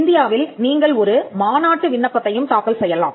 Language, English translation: Tamil, In India, you can also file, a convention application